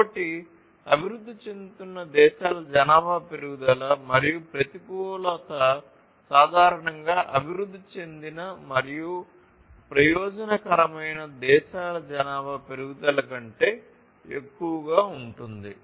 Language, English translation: Telugu, So, the population growth of countries developing and disadvantage is typically greater than the population growth of the developed and advantaged countries